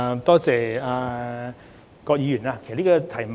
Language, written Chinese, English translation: Cantonese, 多謝葛議員的提問。, I thank Ms QUAT for her question